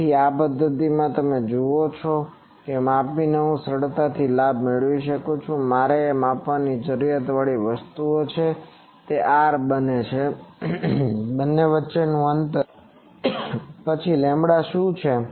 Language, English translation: Gujarati, So, in this method you see I can easily find out gain by measuring, what are the measurement things I need to measure one is R, what is the distance between the two then what is lambda